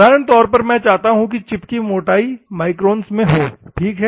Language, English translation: Hindi, So, normally I mean to say, the chip thickness will be in microns, ok